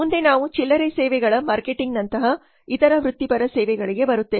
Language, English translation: Kannada, Next we come to other professional services like retail services marketing